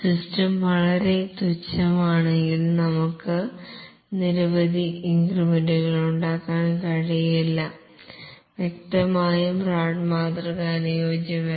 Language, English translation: Malayalam, If the system is very trivial and we cannot have several increments, then obviously RAD model is unsuitable